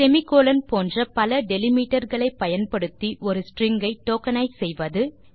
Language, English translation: Tamil, Tokenize a string using various delimiters like semi colons